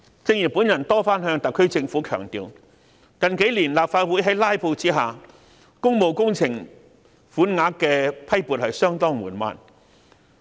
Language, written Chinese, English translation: Cantonese, 正如我多次向特區政府強調，近幾年在立法會"拉布"的情況下，批撥款項予工務工程的速度相當緩慢。, As I have repeatedly emphasized to the SAR Government the approval of public works funding has been sluggish in recent years due to filibustering in the Legislative Council